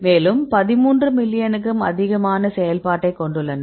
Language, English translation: Tamil, Also they have the 13 million right the activity